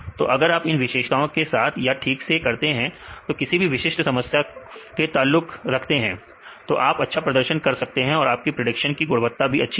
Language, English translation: Hindi, So, if you do it properly with the features which are relevant to the particular problem then you can perform better in your prediction accuracies